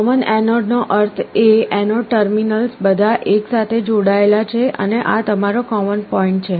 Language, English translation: Gujarati, Common anode means the anode terminals are all connected together and this is your common point